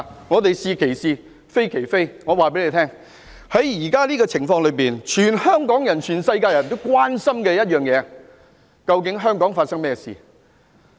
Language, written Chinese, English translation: Cantonese, 我們是其是，非其非，現在這個情況，全香港市民、全世界的人都關心香港發生了甚麼事情。, We are approving what is right and condemning what is wrong . As regards the present situation all people in Hong Kong and in the globe are concerned about what is going on in Hong Kong